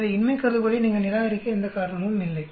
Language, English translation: Tamil, So there is no reason for you to reject the null hypothesis